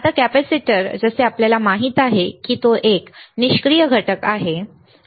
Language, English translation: Marathi, Now, capacitor as we know it is a passive component, right